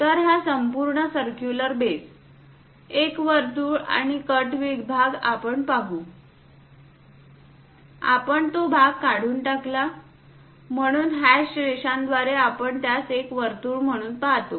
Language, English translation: Marathi, So, this entire circular base; one circle we will see and the cut section, we removed the portion, so through hash lines, we see it as circle